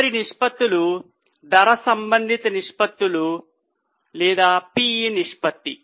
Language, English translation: Telugu, The next ratios are price related ratios, PE ratio